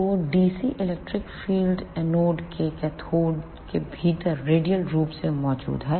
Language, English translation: Hindi, So, dc electric field is present from anode to cathode radially inward